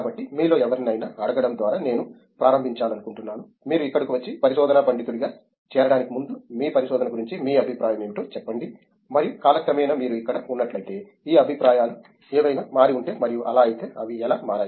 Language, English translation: Telugu, So, I would like to start by asking any of you to, tell me what was your view of research before you came and joined as a research scholar here and if over the time that you have been here if any of these views have changed and if so how they have changed